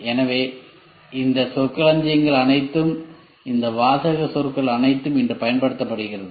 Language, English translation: Tamil, So, all these terminologies are, all these jargon words are used today